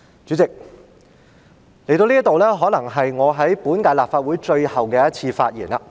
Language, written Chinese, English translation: Cantonese, 主席，到了這一刻，可能是我在本屆立法會的最後一次發言。, President this moment may be the last time I give a speech in the current term of the Legislative Council